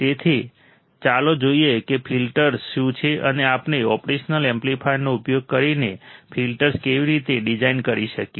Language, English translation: Gujarati, So, let us see what exactly filters are and how can we design the filters using the operational amplifier